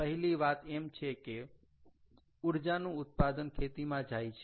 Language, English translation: Gujarati, ok, first thing, thats, the output of energy goes into agriculture